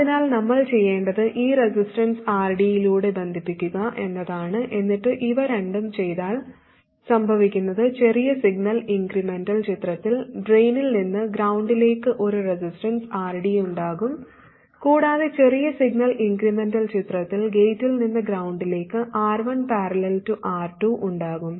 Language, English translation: Malayalam, So then clearly the gain will be zero it will be GM times the zero resistance okay so what we need to do is connected through this resistance RD and then if we do both of these what happens is that we will have a resistance RD from drain to ground in the small signal incremental picture and R1 parallel R2 from gate to ground in the small signal incremental picture and R1 parallel R2 from gate to ground in the small signal incremental picture